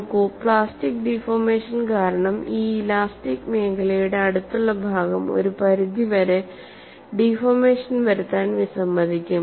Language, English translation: Malayalam, See, because of plastic deformation you have the neighboring elastic region will refuse to deform to that extent